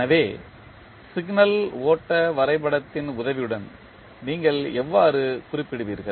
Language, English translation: Tamil, So, how you will represent with a help of signal flow graph